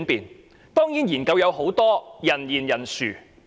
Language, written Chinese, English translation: Cantonese, 研究當然有很多，而且人言人殊。, There are of course many studies as well as diverse opinions